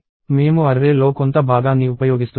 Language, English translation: Telugu, I am using part of the array